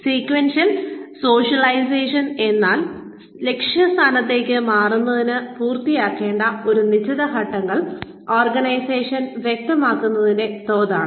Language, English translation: Malayalam, Sequential socialization is the degree to which, the organization specifies a certain set of steps, to be completed, in order to advance to the target role